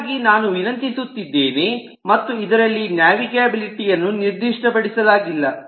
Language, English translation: Kannada, so i would just request: and in this the navigability is not specified